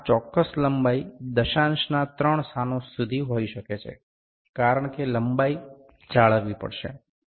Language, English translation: Gujarati, This specific length may be towards up to the three places of decimal that length has to be maintained